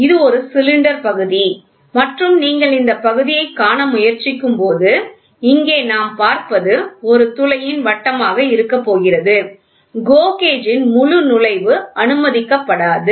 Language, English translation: Tamil, This is a cylinder section of these are sections of the cylinder and when you try to see this portion we what we see here is going to be the roundness of a hole, a fully full entry of GO gauge will not be allowed